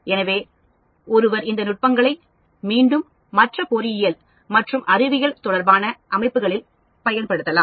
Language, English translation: Tamil, So, one could use these techniques again vice versa into other engineering and science related systems